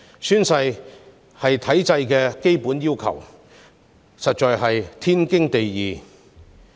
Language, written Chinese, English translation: Cantonese, 宣誓是體制的基本要求，實在是天經地義。, Taking the oath of office is a basic requirement of the regime and is a matter of course